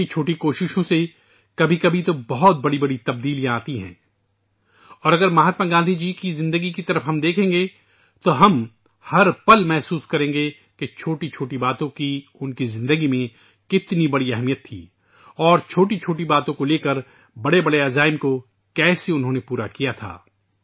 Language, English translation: Urdu, Through tiny efforts, at times, very significant changes occur, and if we look towards the life of Mahatma Gandhi ji we will find every moment how even small things had so much importance and how using small issues he accomplished big resolutions